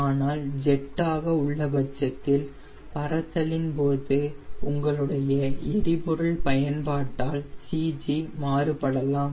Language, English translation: Tamil, but in case of jet, during flight, your consumption of fuel, your cg might change